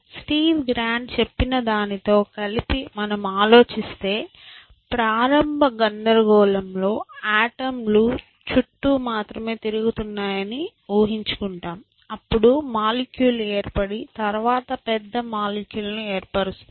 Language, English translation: Telugu, And if you think of it in combination with what is Steve grand say just imagine that in the initial chaos there were only atoms floating around then, molecules form then, molecules combined into forming bigger molecules